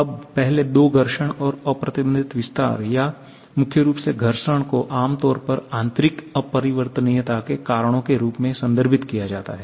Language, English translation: Hindi, Now, the first two friction and unrestrained expansion or primarily friction are generally referred as the reasons for internal irreversibility